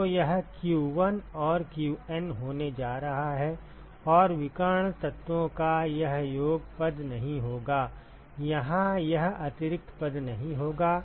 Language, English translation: Hindi, So, that is going to be q1 and qN and the diagonal elements will not have this summation term, this will not have this additional term here